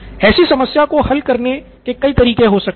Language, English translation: Hindi, So several ways to solve this problem